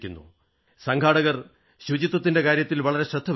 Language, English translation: Malayalam, The organizers also paid great attention to cleanliness